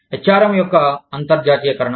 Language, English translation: Telugu, Internationalization of HRM